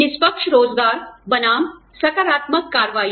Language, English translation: Hindi, Fair employment versus affirmative action